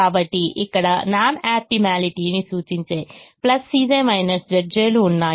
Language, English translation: Telugu, so here there are positive c j minus z j's indicating non optimality